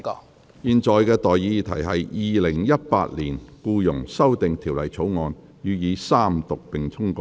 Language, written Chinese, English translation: Cantonese, 我現在向各位提出的待議議題是：《2018年僱傭條例草案》予以三讀並通過。, I now propose the question to you and that is That the Employment Amendment Bill 2018 be read the Third time and do pass